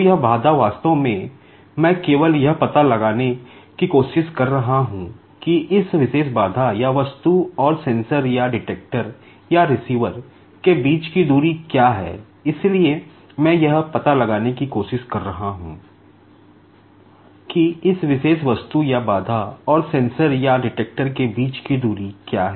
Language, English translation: Hindi, So, this obstacle actually I am just trying to find out, what is the distance between this particular obstacle or the object and the sensor or the detector or the receiver